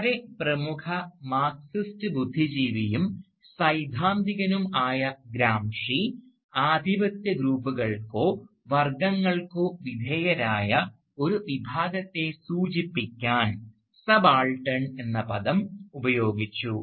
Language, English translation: Malayalam, Gramsci, who was a very prominent Marxist intellectual, Marxist theoretician, used the word subaltern to signify a section of people who were subordinate to the hegemonic groups or classes